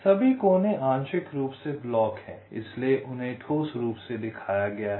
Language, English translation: Hindi, so all the vertices are partially block, so they are shown as solid